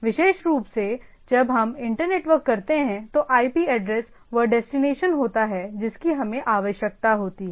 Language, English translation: Hindi, So, specially when we do internetworking, the IP address is the of the destination what we require